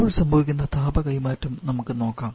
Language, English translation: Malayalam, So now let us look at the heat transfer that is happening